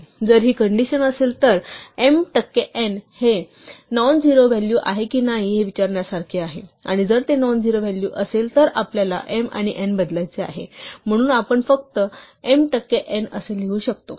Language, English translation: Marathi, If this condition holds is the same as asking whether m percent n is a nonzero value, and if it is nonzero value we want to replace m and n, so we can just write if m percent n